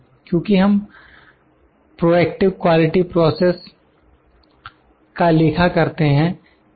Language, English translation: Hindi, Because, we do a proactive quality process is taken into account